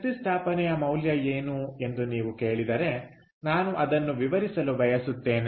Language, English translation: Kannada, so if you say what is the value of energy installation, i would